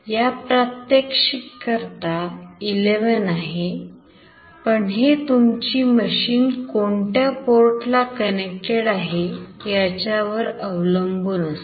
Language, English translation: Marathi, So, it depends it is 11 for this example, but it depends on to which port it is connected in your machine